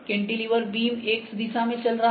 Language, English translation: Hindi, The cantilever moving beam is moving in X direction